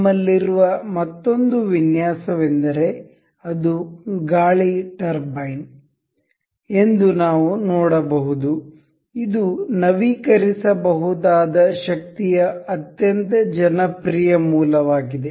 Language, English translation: Kannada, Another design we have is we can see it is wind turbine, it is a very popular source of renewable energy